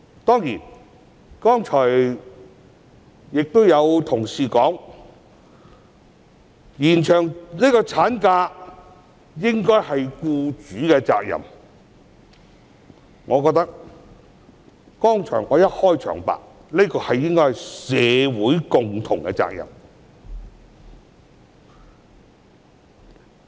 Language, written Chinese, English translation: Cantonese, 當然......剛才有同事提出，延長產假應該是僱主的責任，但我認為——正如我的開場白所說——這應是社會的共同責任。, Of course Just now some colleagues raised the point that extending maternity leave should be employers responsibility but I think―as I said at the beginning―this should be a collective responsibility of society